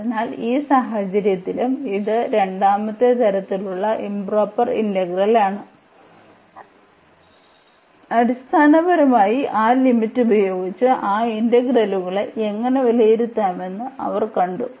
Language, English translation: Malayalam, So, in that case also this is a improper integral of a second kind and they we have seen how to evaluate those integrals basically using that limit